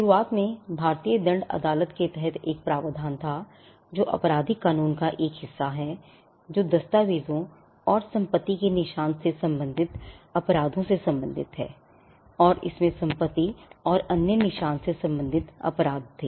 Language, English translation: Hindi, Initially there was a provision under the Indian penal court, which is a part of the criminal law; which pertained to offenses relating to documents and property marks, and it also had offenses relating to property and other marks